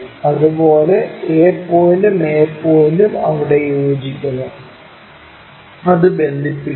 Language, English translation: Malayalam, Similarly, a point and a point coincides there, connect that